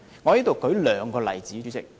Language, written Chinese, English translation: Cantonese, 主席，讓我舉兩個例子。, President let me cite two examples